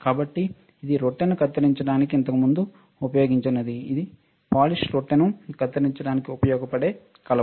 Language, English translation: Telugu, So, it was earlier used to actually cut the bread, it was a polished wood used to cut the bread, right